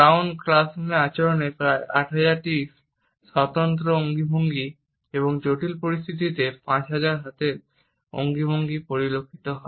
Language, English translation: Bengali, Krout is observed almost 8,000 distinct gestures in classroom behavior and 5,000 hand gestures in critical situations